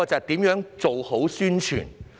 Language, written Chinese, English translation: Cantonese, 第一，是做好宣傳。, First the Secretary should enhance publicity work